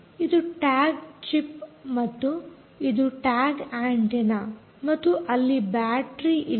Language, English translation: Kannada, this is a tag chip chip and this is the tag antenna